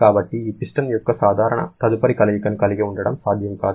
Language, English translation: Telugu, And so it is not possible to have any further movement of this piston